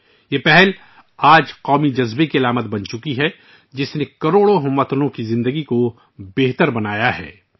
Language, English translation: Urdu, Today this initiative has become a symbol of the national spirit, which has improved the lives of crores of countrymen